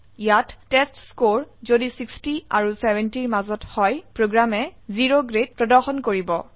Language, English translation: Assamese, Here if the testScore is between 60 and 70 the program will display O Grade